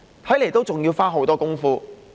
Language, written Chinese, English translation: Cantonese, 看來還要花很多工夫。, It seems a great deal of work has to be done